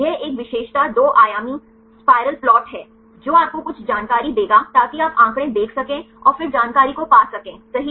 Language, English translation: Hindi, It is a characteristic two dimensional plot kind of spiral plot, which will give you some information so that, you can view the figures and then get the information right